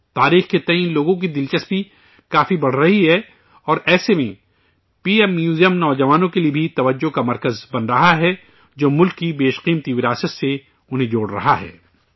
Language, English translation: Urdu, People's interest in history is increasing a lot and in such a situation the PM Museum is also becoming a centre of attraction for the youth, connecting them with the precious heritage of the country